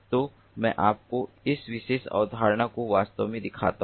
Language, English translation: Hindi, so let me show you this particular concept